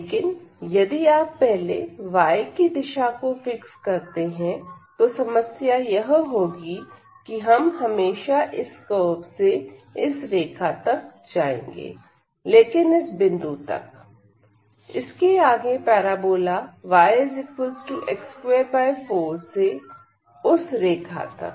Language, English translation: Hindi, But, if you first fix in the direction of x; so, if we first fix in the direction of x, then the problem will be that going from this curve to the line always, but up to this point; next to this we will be going from this parabola y is equal to x square by 4 to that line